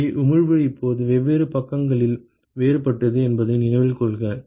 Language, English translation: Tamil, So, note that the emissivity is now on different sides are different